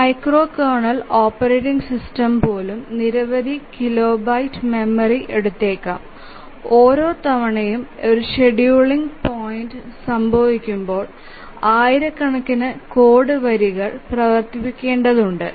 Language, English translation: Malayalam, For example a micro kernel real time operating system which we will see later they take several even a micro kernel operating system may take several kilobytes of memory and requires running several thousands of lines of code each time a scheduling point occurs